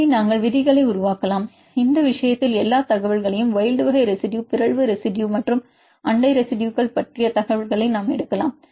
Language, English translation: Tamil, So, we can make rules, way this case we can take all the information wild type residue mutation residues and neighboring residue information all this information we take that